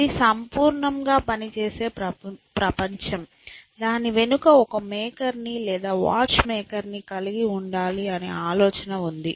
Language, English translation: Telugu, The idea was that, such a perfectly functioning world must have a maker behind it of the watch maker, like a watch maker